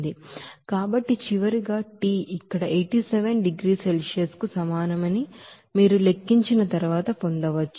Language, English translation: Telugu, So finally, you can get after calculation that T will be is equal to here 87 degrees Celsius